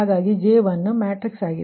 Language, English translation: Kannada, so this is the j one matrix